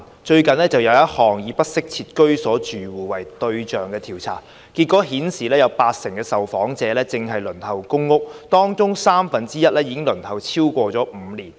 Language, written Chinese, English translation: Cantonese, 最近一項以不適切居所住戶為對象的調查的結果顯示，八成受訪者正輪候公屋，而當中三分一已輪候超過5年。, The findings of a recent survey with households in inadequate housing as targets revealed that 80 % of the respondents were waiting for public housing and one - third of them had been waiting for over five years